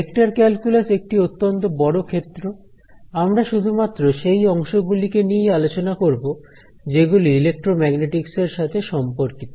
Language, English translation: Bengali, Vector calculus is a very vast area, we will cover only those parts which are relevant to electromagnetics